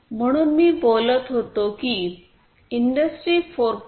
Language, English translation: Marathi, So, what I was talking about is the industry 4